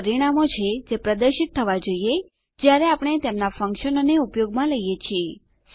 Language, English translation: Gujarati, These are the results which should be displayed when we use their functions